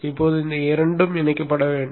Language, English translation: Tamil, Now these two need to be interfaced